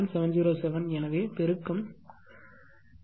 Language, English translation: Tamil, 707 will be 0